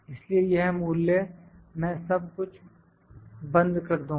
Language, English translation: Hindi, So, this value I will lock everything